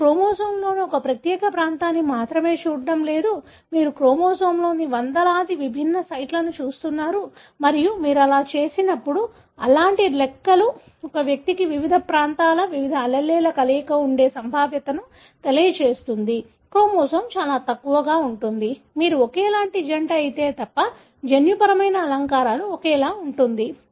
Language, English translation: Telugu, We are not just looking at one particular region of chromosome, you are looking at hundreds of different sites in the chromosome and when you do that, such kind of calculations tell the probability that an individual will have identical combination of various alleles of various regions of the chromosome is extremely low, unless you are identical twin, where the genetic makeup is identical